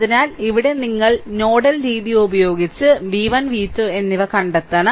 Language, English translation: Malayalam, So, here you have to find out v 1 and v 2 right using nodal method